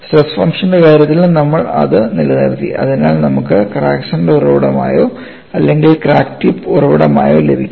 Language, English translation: Malayalam, We retained in terms of stress function so that we could get the solution with crack center as the origin or crack tip as the origin